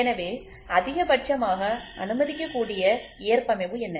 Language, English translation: Tamil, So, what is the maximum permissible tolerance